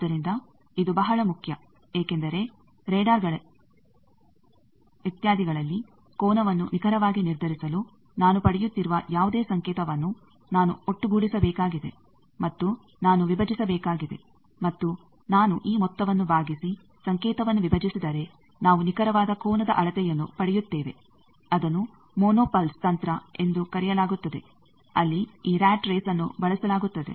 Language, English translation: Kannada, So, this is very important because in radars etcetera, you want to have that to determine the angle precisely I need to find out that whatever signal I am getting I need to sum and I need to divide and that if I divide this sum and divide signal, we get precise angle measurement that is called mono pulse technique there this rat race is used